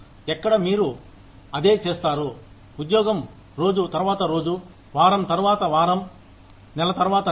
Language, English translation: Telugu, Where, you do the same job, day after day, week after week, month after month